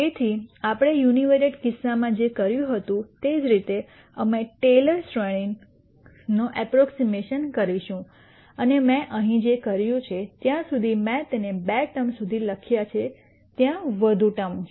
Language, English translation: Gujarati, So, much like what we did in the univariate case, we are going to do a Taylor series approximation and what I have done here is I have just written it till two terms there are more terms here